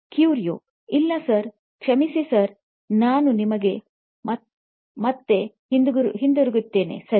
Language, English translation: Kannada, No, sir, sorry sir, I will get back to you, sir